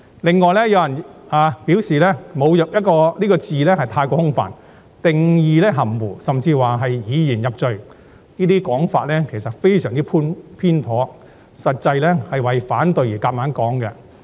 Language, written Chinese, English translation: Cantonese, 此外，有人表示"侮辱"一詞過於空泛，定義含糊，甚至批評《條例草案》是以言入罪，這些說法其實非常偏頗，實際上是為反對而硬要這樣說。, In addition some people claimed that the term insulting is too vague and the definition is ambiguous . There are even criticisms accusing the Bill of literary inquisition . These highly biased comments are actually made for the sake of opposition